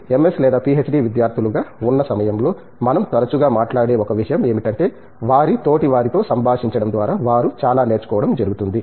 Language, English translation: Telugu, During this stay as MS or PhD students, so one of the things that we often talk about is that, there is a lot of learning that they do by interacting with their peers